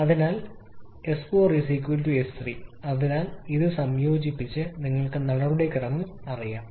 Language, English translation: Malayalam, So S4 is equal to S3 so combining this, you know the procedure from there